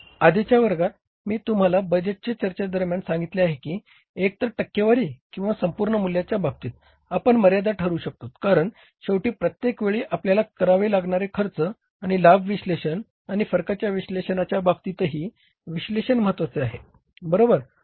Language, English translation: Marathi, I told you in the previous classes during the budget discussion that either in terms of the percentage or in the absolute value we can fix up the threshold level because ultimately the cost and benefit analysis we have to do every time and in case of the variance analysis also that analysis is important